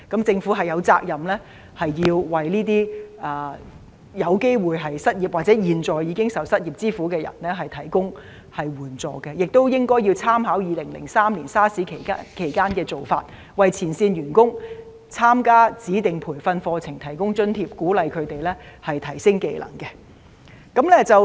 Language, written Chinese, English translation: Cantonese, 政府有責任為那些有機會失業或現在已受失業之苦的人提供援助，亦應該參考2003年 SARS 期間的做法，為前線員工參加指定培訓課程提供津貼，鼓勵他們提升技能。, The Government is duty - bound to help those who may lose their jobs or have already lost their jobs . It should also take reference from the measures adopted during the SARS outbreak in 2003 and provide subsidies for frontline workers to enrol in designated training courses for skill enhancement